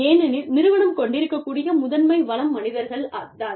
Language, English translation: Tamil, Because, human beings are the primary resource, that organizations have